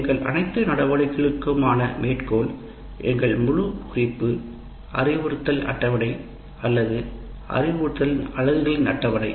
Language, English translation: Tamil, So our entire reference for all our activities will be the instruction schedule or the schedule of instructional units